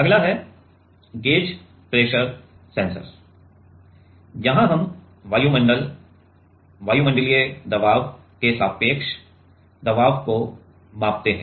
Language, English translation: Hindi, Next is gauge pressure sensor; here we measure pressure relative to the atmosphere, atmospheric pressure